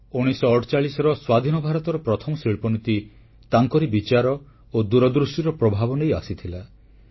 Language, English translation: Odia, The first industrial policy of Independent India, which came in 1948, was stamped with his ideas and vision